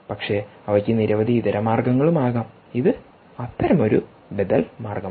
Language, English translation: Malayalam, but they can be many alternatives and this is one such alternative measurement